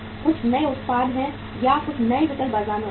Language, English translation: Hindi, There is some new products or some new alternatives are available in the market